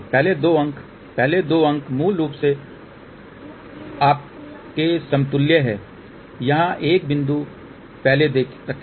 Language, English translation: Hindi, The first two digits the first two digits basically are equivalent to you put a point before here